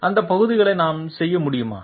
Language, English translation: Tamil, Can we do away with those parts